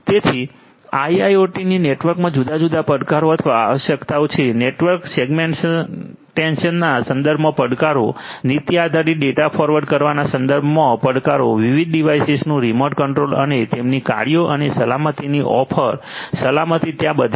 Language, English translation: Gujarati, So, there are different challenges or requirements in IIoT network, challenges with respect to network segmentation, challenges with respect to having policy based data forwarding, remote control of different devices and their functionalities and offering security, security is there all through